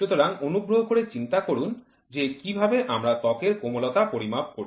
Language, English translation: Bengali, So, please try to think about what how do we measure softness of a skin